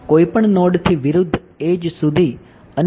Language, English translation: Gujarati, From any node to the opposite edge and then